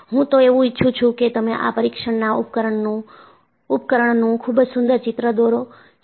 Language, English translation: Gujarati, I would like you to draw a neat sketch of this test apparatus